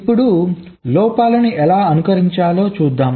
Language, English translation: Telugu, now lets see how to simulate faults